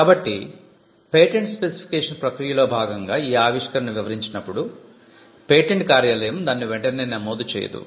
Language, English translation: Telugu, So, this entire process of explaining the invention when it is captured in what we call a patent specification, the patent office does the job of not just registering it